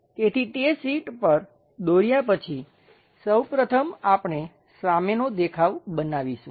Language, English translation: Gujarati, So, after drawing that on the sheet; first one front view we will construct it